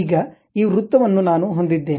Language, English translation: Kannada, Now, because this circle I have it